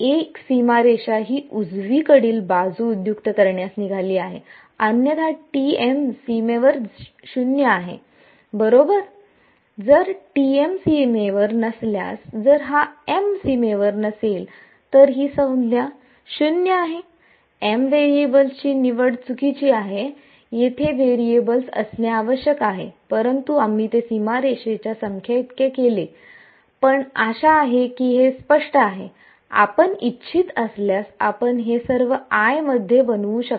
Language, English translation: Marathi, A boundary edge is what is going to invoke this right hand side that is otherwise T m is 0 on the boundary right; if T if m is not on the boundary if this m is not on the boundary this term is 0 bad choice of variables m here is suppose to be variable, but we made it equal to number of boundary edges, but hopefully its clear you can make this all into i if you want